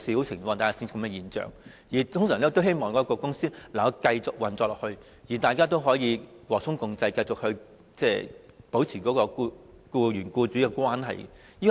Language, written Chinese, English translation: Cantonese, 他們一般都希望公司能夠繼續運作，大家和衷共濟，繼續保持僱員與僱主的關係。, They normally hope that the company can continue to operate and employers and employees can work together in harmony and maintain good relationship